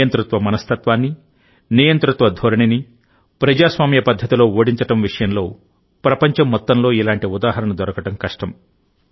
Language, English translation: Telugu, It is difficult to find such an example of defeating a dictatorial mindset, a dictatorial tendency in a democratic way, in the whole world